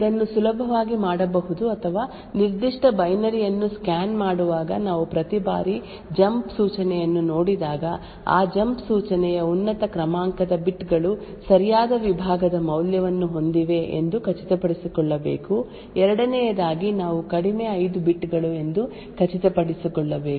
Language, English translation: Kannada, So this can be easily done or while scanning the particular binary every time we see a jump instruction we should need to ensure that the higher order bits of that jump instruction have the correct segment value secondly we need to also ensure that the lower 5 bits are set to 0 for the target address so this will ensure that the destination target address always contains a legal instruction